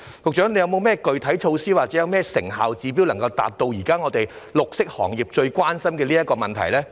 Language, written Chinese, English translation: Cantonese, 局長有何具體措施或成效指標，以回應現時綠色行業最關心的問題呢？, What specific measures or performance indicators have the Secretary put in place to respond to these issues of utmost concern to the green industry now?